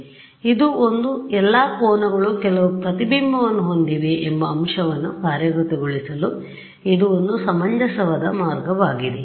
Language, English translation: Kannada, So, this is one; this is one reasonable way of implementing getting around the fact that all angles have some reflection